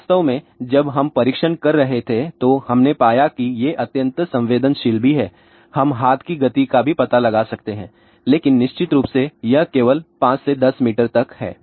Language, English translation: Hindi, In fact, when we were doing the testing we found these to be extremely sensitive also and we can even detect hand movement also, but of course, the distance is up to only about 5 to 10 meter